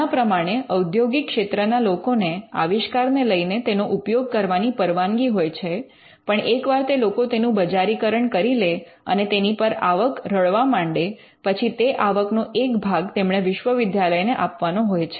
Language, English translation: Gujarati, To allow industry people to take up the invention and to use it, but once they commercialize it or once they start earning revenue, they start sharing it with the university